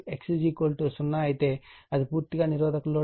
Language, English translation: Telugu, If X is equal to 0, then it is purely resistive load